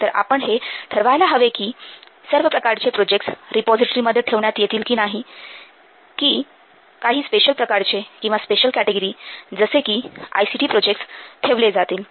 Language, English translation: Marathi, So we must also decide whether to have all the projects in the repository or only a special category of projects like as ICT projects